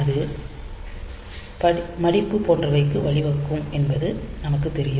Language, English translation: Tamil, So, as we know that it may lead to folding and all that